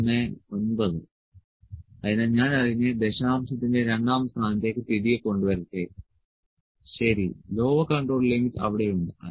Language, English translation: Malayalam, 219 so let me bring it back to the second place of decimal, ok, lower control limit is there